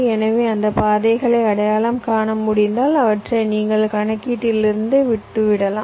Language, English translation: Tamil, so if you can identify those path, we can leave them out from our calculation